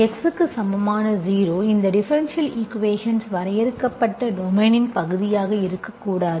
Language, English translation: Tamil, x equal to 0 should not be part of the domain in which this differential equation is defined